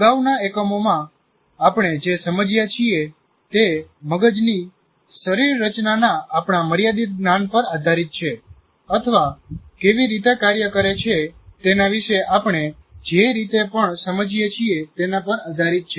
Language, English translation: Gujarati, And in this current unit or in the previous units, what we understood is based on our limited knowledge of the anatomy of the brain or how things work to whatever extent we understand